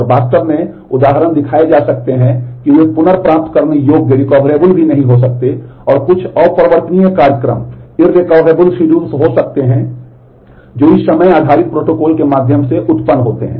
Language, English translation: Hindi, And actually examples can be shown that they may not even be recoverable there may be some irrecoverable schedules that get produced through this time based protocol